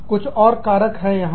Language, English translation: Hindi, Some more factors here